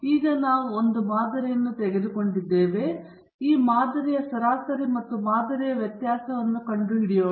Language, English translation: Kannada, Now that we have taken the sample, we can find the sample mean and sample variance